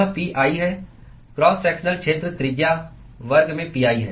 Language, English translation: Hindi, it is pi, cross sectional area is pi into radius square